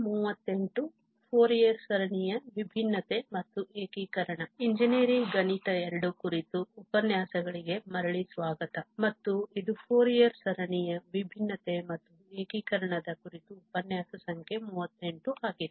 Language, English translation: Kannada, So, welcome back to lecture on Engineering Mathematics II and this is lecture number 38 on Differentiation and Integration of Fourier Series